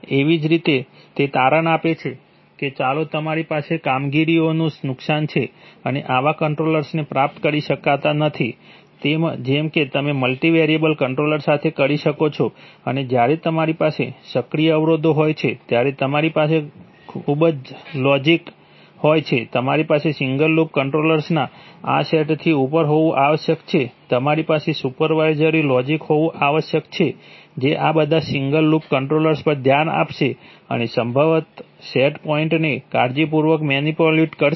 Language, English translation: Gujarati, Similarly it turns out that you have performance loss, you cannot achieve such control, such good control, as you can with multi variable control and when we have active constraints then you have, you have very complicated logic, you must have above these set of single loop controllers, you must have supervisory logic which will look at all these single loop controllers and probably carefully manipulate the set points